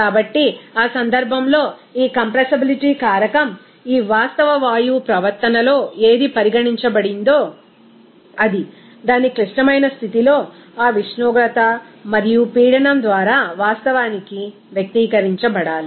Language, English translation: Telugu, So, in that case, this compressibility factor, whatever it is considered in this real gas behavior that should be actually expressed by that temperature and pressure at its critical condition